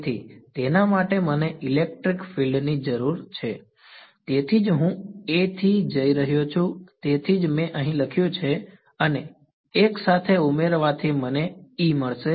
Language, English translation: Gujarati, So, for that I need electric field that is why I am going from A to phi that is why I have written phi over here, and phi added together is going to give me E